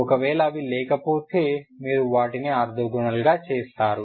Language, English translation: Telugu, Now i may have i can make them orthogonal